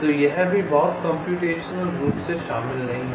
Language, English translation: Hindi, so this is also not very not computationally involved